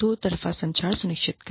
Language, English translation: Hindi, Ensure a two way communication